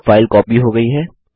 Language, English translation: Hindi, Now the file has been copied